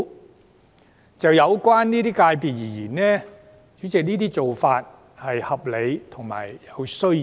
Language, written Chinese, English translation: Cantonese, 主席，就這些界別而言，這種做法既合理亦有需要。, President in respect of such FCs this practice is reasonable and necessary